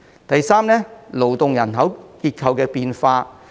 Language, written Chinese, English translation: Cantonese, 第三，是勞動人口結構的變化。, Thirdly it is the changing landscape of labour force in Hong Kong